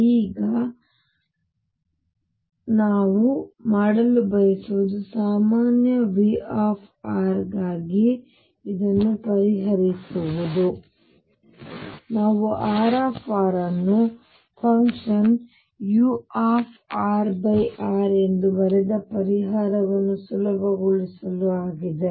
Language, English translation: Kannada, Now, what we want to do now is solve this for a general v r, to facilitate the solution we had written R r as the function u r over r